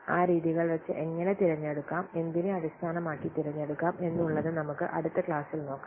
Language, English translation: Malayalam, So, how to select these methods based on what that we will discuss in the next class